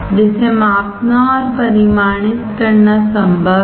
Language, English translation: Hindi, That is possible to a to measure and quantify